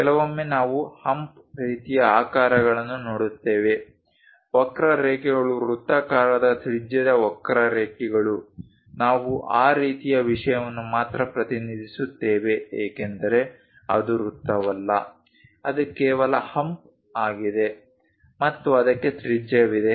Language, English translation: Kannada, Sometimes we see hump kind of shapes, curves circular radius curves that kind of thing we only represent because it is not a circle, it is just a hump and it has a radius